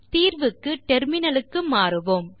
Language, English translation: Tamil, Switch to the terminal for solution